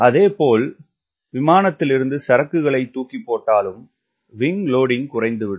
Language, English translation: Tamil, similarly, when you drop some stores from the aircraft t he wing loading also will decrease